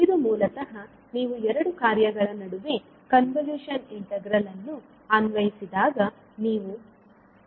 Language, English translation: Kannada, So this is the basically the output which you will get when you apply convolution integral between two functions